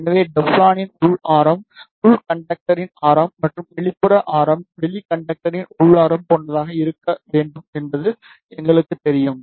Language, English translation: Tamil, So, we know the inner radius of Teflon should be equivalent to the radius of inner conductor and outer radius should be equivalent to the inner radius of the outer conductor